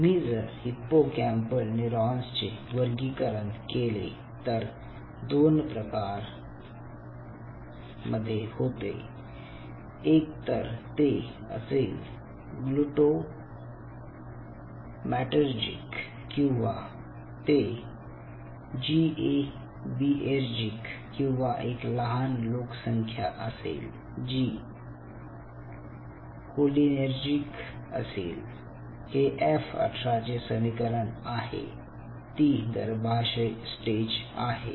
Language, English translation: Marathi, so if you classify the hippocampal neuron, they they falls under two types: either it will be glutamatergic, or it will be gabaergic, or a small population which is cholinergic, especially this is the equation at e eighteen or sorry, f eighteen should call it, ah, embryonic, it is a fetal stage